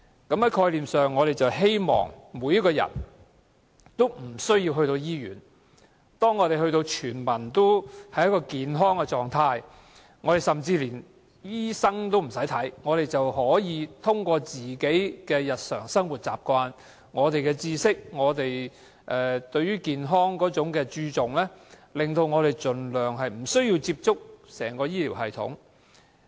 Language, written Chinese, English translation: Cantonese, 在概念上，我們希望市民無需接受醫院治療，希望全民均達到健康的狀態，甚至不用看醫生，可以通過自己的日常生活習慣、知識、對健康的注重、令自己盡量不需要接觸整個醫療系統。, Conceptually it is ideal that we all stay healthy and do not need to receive hospital care services or even consult doctors . It is also ideal that healthy lifestyles as well as the health awareness and consciousness can keep us away from the entire health care system